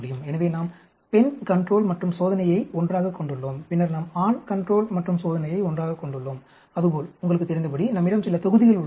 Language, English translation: Tamil, So, we will have the female control and test together, then we have a male control and test together, like that, you know, we have some blocking